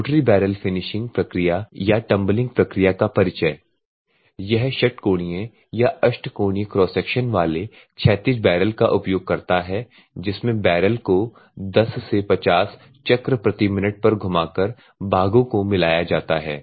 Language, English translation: Hindi, In the introduction to the rotary barrel finishing process or the tumbling process, it is uses the horizontal oriental barrel of hexagonal or octagonal cross section, which parts are mixed to rotate the barrel; the barrel at the speeds normally 50 to, 10 to 50 revolutions per minute